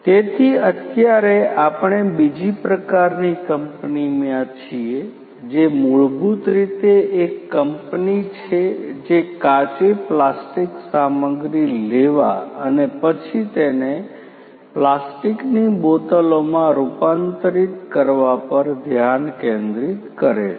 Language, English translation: Gujarati, So, right now we are in another type of company which is basically a company which focuses on taking raw plastic materials and then converting them into plastic bottles